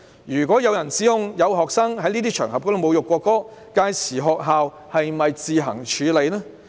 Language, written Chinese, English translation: Cantonese, 如果有人指控有學生在這些場合侮辱國歌，屆時學校是否可以自行處理？, If someone makes an accusation that some students have insulted the national anthem on such an occasion can the school handle it by itself?